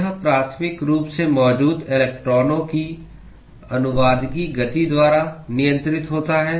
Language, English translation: Hindi, It is primarily governed by the translational motion of the electrons that is actually present